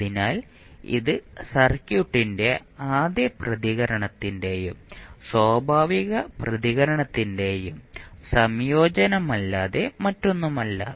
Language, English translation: Malayalam, So, this is nothing but a combination of first response and natural response of the circuit